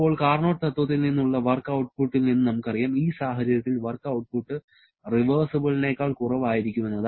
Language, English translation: Malayalam, Now, this we know that work output from the Carnot principle, the work output in this case will be lesser than the reversible one that is W irreversible will be less than W reversible